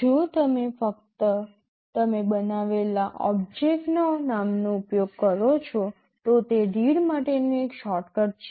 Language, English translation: Gujarati, If you just use the name of the object you are creating, that is a shortcut for read